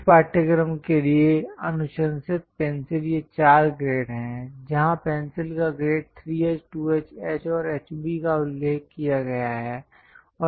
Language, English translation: Hindi, The recommended pencils for this course are these four grades ; grade of the pencil where 3H, 2H, H, and HB are mentioned